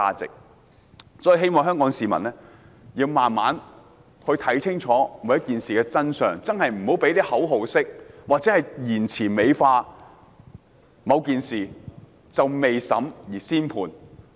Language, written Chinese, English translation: Cantonese, 所以，我希望香港市民慢慢看清楚事情的真相，不要用口號式言詞美化某件事，未審先判。, Therefore I hope Hong Kong people will gradually see the truth of the matter instead of the version beautified by slogans and judged before trial